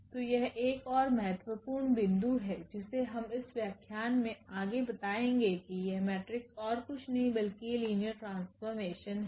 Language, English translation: Hindi, So, this is another important point which we will be exploring further in this lecture that this matrices are nothing but they are linear map